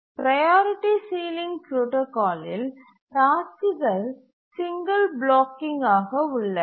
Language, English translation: Tamil, In the priority sealing protocol, the tasks are single blocking